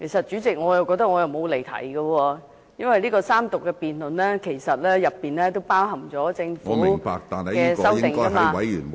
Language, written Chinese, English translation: Cantonese, 主席，我覺得我沒有離題，因為三讀辯論其實涵蓋政府的修正案......, President I do not think I have digressed because the Third Reading debate actually covers the Governments amendments